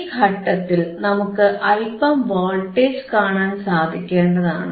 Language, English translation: Malayalam, Now, at this point we should be able to see some voltage